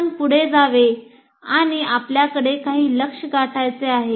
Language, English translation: Marathi, So you have to move on and you have some goals to reach